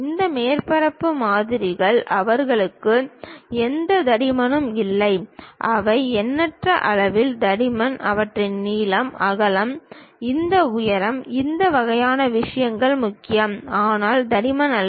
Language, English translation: Tamil, For and these surface models they do not have any thickness, they are infinitesimally small in thickness, their length, breadth, this height, this kind of things matters, but not the thickness